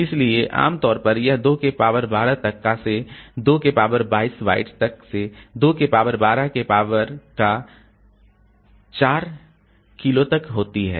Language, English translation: Hindi, So, usually it is in the range of 2 to 2 to the power 12 to 2 to the power 22 bytes